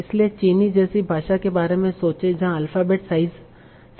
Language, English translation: Hindi, So think about a language like Chinese where the alphabet size is 70,000